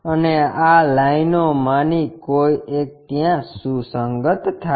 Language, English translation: Gujarati, And one of these line coincides there